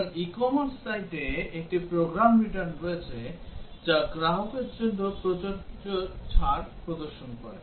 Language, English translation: Bengali, So, there is a program return at the e commerce site, which displays the discount that is applicable to a customer